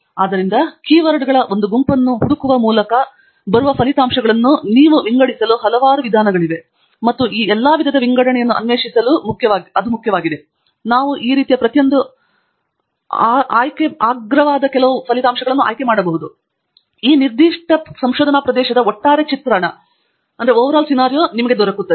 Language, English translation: Kannada, So, there are lot of ways by which you can sort the results that come by searching for a set of keywords, and its important to explore all these types of sorting, so that we can pick the top few of each of these types, so that it gives us a overall picture of this particular research area